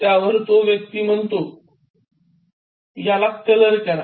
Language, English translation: Marathi, The old man smiled and said: “Colour it